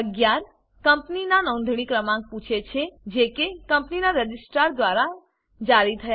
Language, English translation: Gujarati, Item 11 asks for the registration of companies, issued by the Registrar of Companies